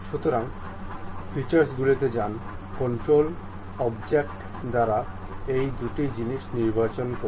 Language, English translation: Bengali, So, go to features, select these two things by control object